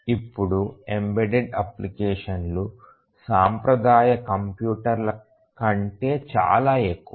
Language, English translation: Telugu, Now the embedded applications vastly outnumber the traditional computers